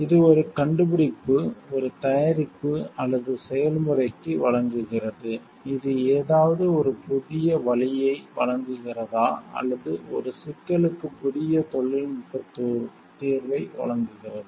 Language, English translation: Tamil, It provides it is granted for an invention, a product or process that provides a new way of doing something, or that it offers a new technical solution to a problem